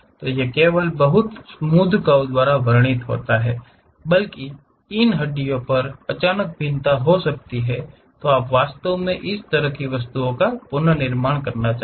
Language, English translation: Hindi, These are not just described by very smooth curves, there might be sudden variation happens on these bones, you want to really reconstruct such kind of objects